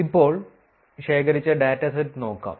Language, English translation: Malayalam, Now, let us look at the dataset that was collected